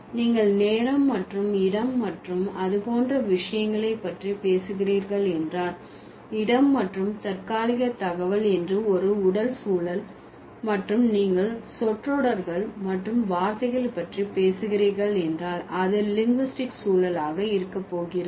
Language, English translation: Tamil, If you are talking about time and place and stuff like that, spatial and temporal information, that will be physical context and if you are talking about the phrases and words, then it is going to be linguistic context